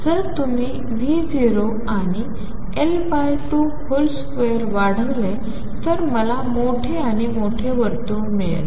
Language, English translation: Marathi, If you increase V naught and L naught by 2 square I get bigger and bigger circle